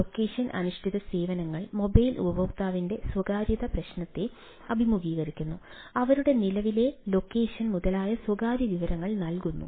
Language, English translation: Malayalam, faces privacy issue of the mobile user: provide private information such as their current location, etcetera